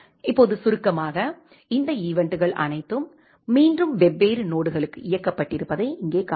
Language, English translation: Tamil, Now, briefly and you can see here that all these events have again executed for different nodes